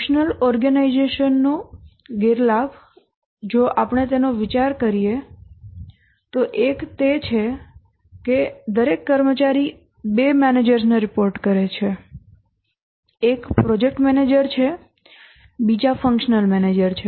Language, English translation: Gujarati, The disadvantage of functional organization, if we think of it, one is that each employee reports to two managers